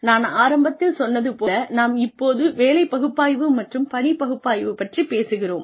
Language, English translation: Tamil, I told you in the very beginning, we were talking about job analysis, and task analysis